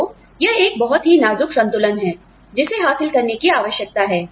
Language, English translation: Hindi, So, this is a very delicate balance, that needs to be achieved